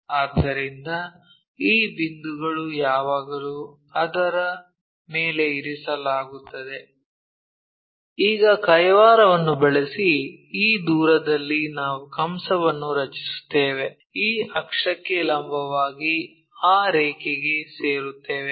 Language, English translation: Kannada, So, this point always be resting on that; using our compass whatever this distance that distance we make an arch, perpendicular to this axis and join that line